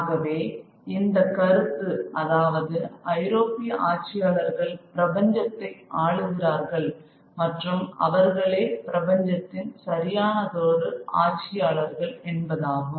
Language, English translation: Tamil, So this idea that the European rulers rule the universe and that they are the rightful rulers of the universe